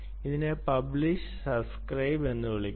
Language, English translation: Malayalam, this is called publish, subscribe